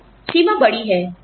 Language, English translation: Hindi, So, the range is large